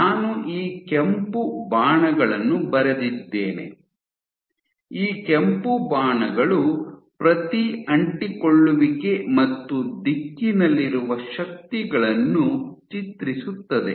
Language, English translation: Kannada, So, I have drawn these red arrows, these red arrows depict the forces at each adhesion and the direction